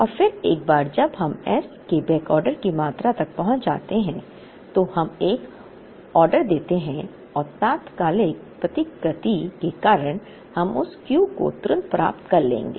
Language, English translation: Hindi, And then once we reach a backorder quantity of s, we place an order and because of instantaneous replenishment we would get that Q instantly